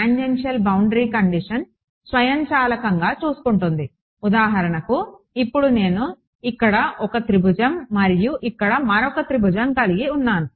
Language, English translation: Telugu, Take automatically take care of tangential boundary conditions for example, now supposing I have 1 triangle over here and another triangle over here